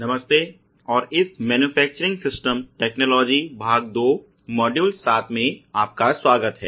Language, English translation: Hindi, Hello and welcome to this Manufacturing Systems Technology part two module 7